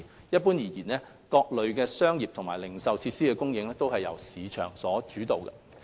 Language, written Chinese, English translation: Cantonese, 一般而言，各類商業及零售設施的供應須由市場主導。, Generally speaking the provision of commercial and retail facilities should be market - led